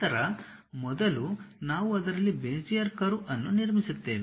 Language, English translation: Kannada, Then first, we will construct a Bezier curve in that